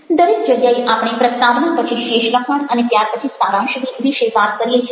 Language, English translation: Gujarati, everywhere we talk about introduction, then the rest of the text and then the conclusion